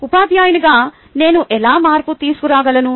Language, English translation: Telugu, how do i make a difference as a teacher